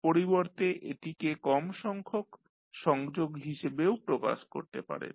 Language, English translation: Bengali, Alternatively, you can also represent it in less number of connections